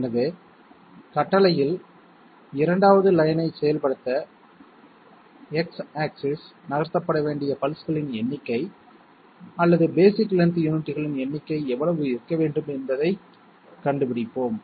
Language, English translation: Tamil, So let us find out in order to carry out a 2nd line in command, how much should be the number of pulses or number of basic length units to be moved along X axis I am sorry